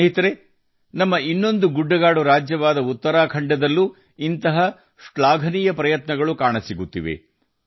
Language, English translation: Kannada, Friends, many such commendable efforts are also being seen in our, other hill state, Uttarakhand